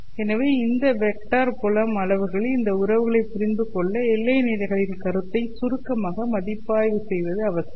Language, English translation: Tamil, So, in order to understand these relationships among these vector field quantities, it is necessary to briefly review the notion of boundary conditions